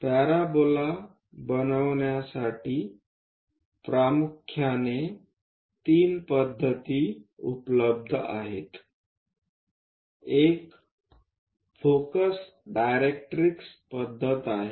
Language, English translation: Marathi, There are mainly three methods available for constructing parabola; one is using focus directrix method